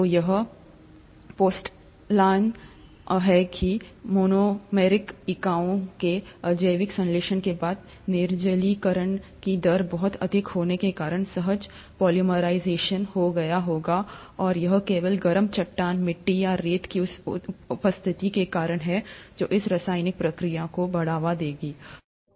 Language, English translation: Hindi, So the postulation is that after the abiotic synthesis of monomeric units, there must have been spontaneous polymerization due to very high rate of dehydration and that is simply because of the presence of hot rock, clay or sand which will promote this chemical reaction